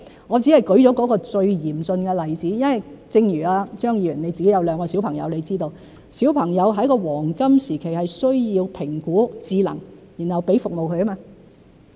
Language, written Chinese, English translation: Cantonese, 我只是舉了最嚴峻的例子，因為正如張議員有兩個小朋友，你知道小朋友在黃金時期需要評估智能，然後給予服務。, I have only cited an example of which the problem is the most acute . As Mr CHEUNG has two children you must know that children should undergo intellectual assessment and then be provided with the necessary services during their golden time